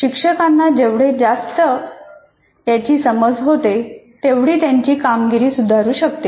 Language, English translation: Marathi, The more you are familiar with this, the more the teacher can perform his job better